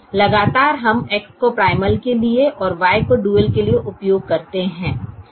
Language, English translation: Hindi, consistently we use x for the primal and y for the dual